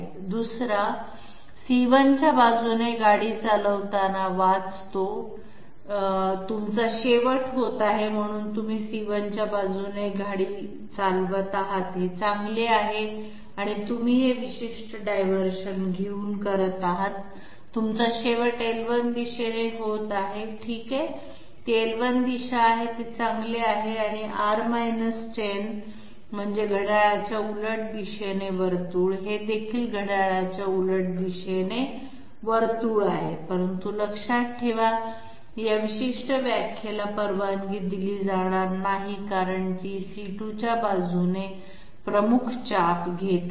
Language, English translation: Marathi, 2nd one, 2nd one reads driving along C1, you are ending up so you are driving along C1 that is good and you are ending up by taking this particular diversion, you are ending up in the L1 direction, okay it s it is L1 direction that is good and R 10 that means counterclockwise circle, this is also counterclockwise circle but mind you, this particular definition will not be allowed since it is taking the major arc along C2